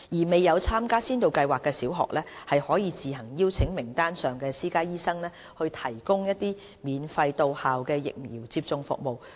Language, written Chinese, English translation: Cantonese, 未有參加先導計劃的小學，可自行邀請名單上的私家醫生提供免費的到校疫苗接種服務。, Primary schools which will not participate in Pilot Programme may take the initiative to invite private doctors on the list to provide free outreach vaccination services at their schools